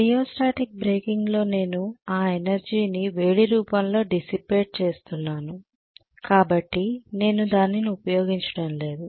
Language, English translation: Telugu, Whereas in rheostatic breaking I am dissipating that energy in the form of heat, so I am not utilizing it